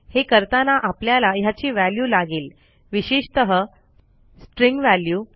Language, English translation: Marathi, To proceed with, I need a value for this, particularly a string value